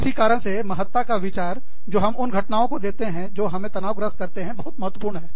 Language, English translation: Hindi, And, that is why, this whole idea, about the importance, we give to the events, that stress us out, is very, very, important